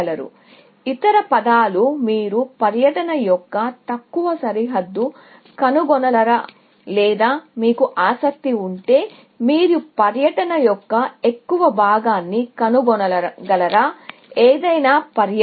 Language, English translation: Telugu, words, can you find a lower bound of a tour, or maybe, if you are interested, can you find a upper bound of a tour; any tour